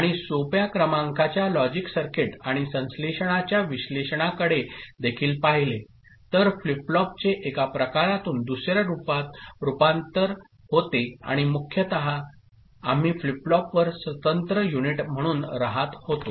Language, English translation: Marathi, And we also looked at analysis of simple sequential logical circuit and synthesis also from the point of view, conversion of flip flop from one type to another and mostly we dwelt on flip flop as an individual unit